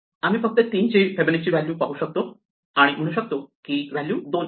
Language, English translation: Marathi, So, we can just look up Fibonacci of 3 and say oh, it is two